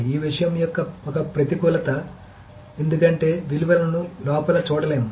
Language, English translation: Telugu, So that's one disadvantage of this thing because the values cannot be looked inside